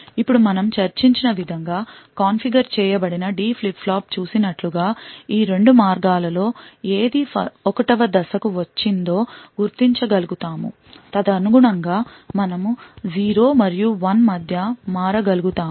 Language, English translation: Telugu, Now as we have seen the the D flip flop which is configured in the way that we have discussed would be able to identify which of these 2 paths has arrived 1st and correspondingly we will be able to switch between 0 and 1